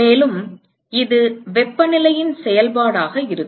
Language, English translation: Tamil, And it is going to be a function of temperature